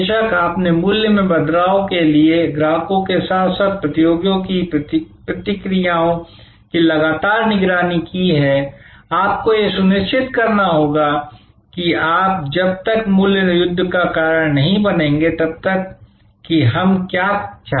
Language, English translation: Hindi, Of course, you have continuously monitor the reactions of customers as well as competitors to price change, you have to be very sure that you are not going to cause a price war unless that is what we want